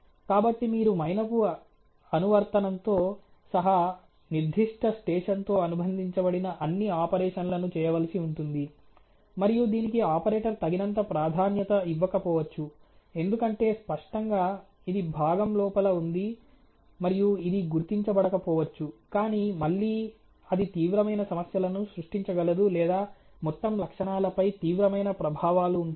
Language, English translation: Telugu, So, you have to do all operations associated with that particular station including the wax application, and that may not be given enough priority by the operator, because obviously, it is inside the area and it may go undetected, but again it create severe problems or severe impacts on the overall qualities